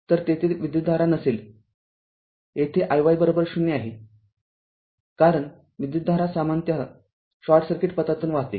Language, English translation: Marathi, So, there will be no current here i y is equal to 0, because it current generally flows through a flows through the short circuit path